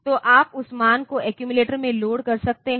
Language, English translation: Hindi, So, you can load that value into accumulator